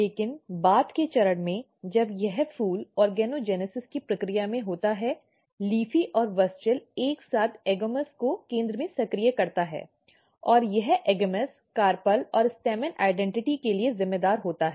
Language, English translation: Hindi, But at the later stage when the this flower is in the process of organogenesis, LEAFY and WUSCHEL together activates AGAMOUS in the center and this AGAMOUS is responsible for carpel and stamen identity